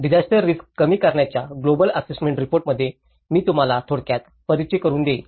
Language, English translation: Marathi, I will briefly introduce you to the Global Assessment Report on disaster risk reduction